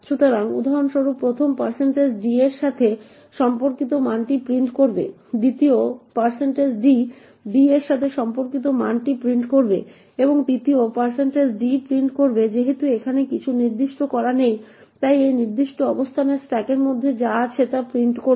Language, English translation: Bengali, So for example the first % d would print the value corresponding to a, the second % d would print the value corresponding to b and the third % d since nothing is specified here would print whatever is present in the stack in this particular location note that this bug cannot be easily detected by compilers